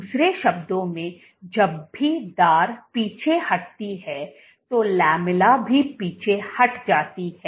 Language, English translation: Hindi, In other words, whenever the edge moves back the lamella also moves back